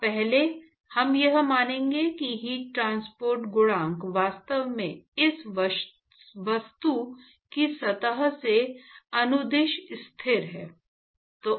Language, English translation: Hindi, Now, earlier we would assume that the heat transport coefficient is actually constant along the surface of this object